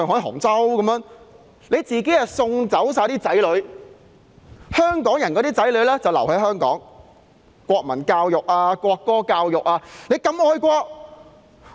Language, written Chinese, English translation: Cantonese, 他們把自己的子女都送走了，但香港人的子女卻要留在香港接受國民教育和國歌教育。, They have sent their children abroad while the children of Hong Kong people have to stay in Hong Kong to receive national education and national anthem education